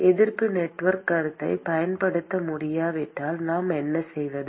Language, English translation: Tamil, If we cannot use resistance network concept, what do we do